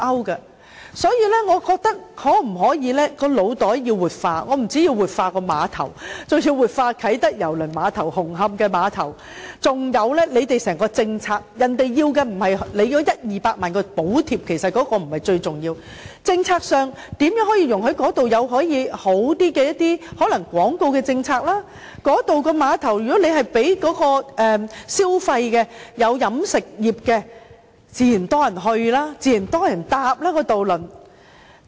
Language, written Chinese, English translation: Cantonese, 因此，政府的腦袋可否活化——我們不但要活化碼頭，包括啟德郵輪碼頭和紅磡碼頭，還有在整體政策上，需要做的不是提供一二百萬元的補貼，那不是最重要，而是在政策上如何容許一些較好的做法，例如在廣告政策上，如果碼頭有飲食業，很多人便自然會前往該處，渡輪也自然會有很多人乘搭。, We need to revitalize not only the piers namely Kai Tak Cruise Terminal and Hung Hom Ferry Pier but also the overall policy . What needs to be done is not the provision of subsidies of 1 million or 2 million . That is not the most important for the most important point is to accommodate some better practices such as advertising policy - wise